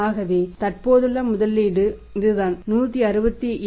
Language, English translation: Tamil, Now how we have calculated this 167